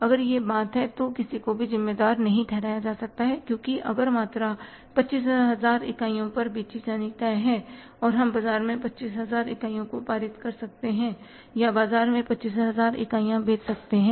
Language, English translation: Hindi, So, if that is the thing then nobody will be held responsible because if the quantity say decided to be sold was 25,000 units and we have been able to pass on 25,000 units in the market or sell 25,000 units in the market